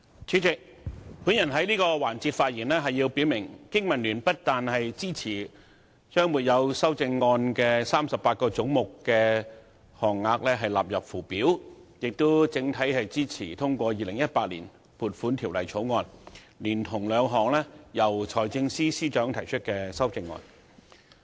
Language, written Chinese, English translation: Cantonese, 主席，我在這個環節發言，表明香港經濟民生聯盟不但支持把沒有修正案的38個總目的款額納入附表，而且整體支持通過《2018年撥款條例草案》，以及由財政司司長提出的兩項修正案。, Chairman I rise to speak in this session to state unequivocally that the Business and Professionals Alliance for Hong Kong BPA not only supports that the sums for the 38 heads with no amendment stand part of the Schedule but also supports the passage of the Appropriation Bill 2018 as well as the two amendments proposed by the Financial Secretary